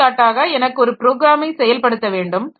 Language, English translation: Tamil, For example, I want to execute a program